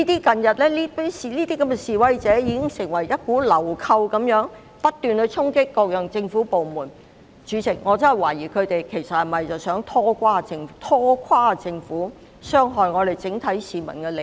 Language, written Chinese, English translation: Cantonese, 近日的示威者如同流寇般不斷衝擊各個政府部門，代理主席，我真的懷疑他們其實是否想拖垮政府，傷害整體市民的利益？, With the protesters acting like thugs and relentlessly charging at various government departments Deputy President I cannot help but wonder whether they are in fact trying to destabilize the Government and compromise the overall interest of the public?